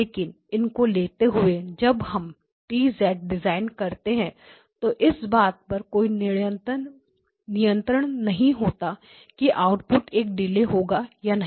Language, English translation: Hindi, Now taking them and constructing this T of Z has no control over whether the output will come out to be a delay or not